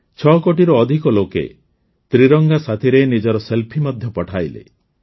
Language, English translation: Odia, More than 6 crore people even sent selfies with the tricolor